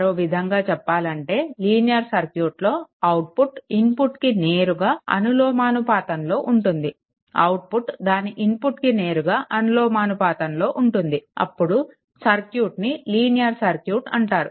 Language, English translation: Telugu, In other words all this are all are underlines a linear circuit is one output is directly proportional to its input right output is directly proportional to its input, then the circuit is called a linear circuit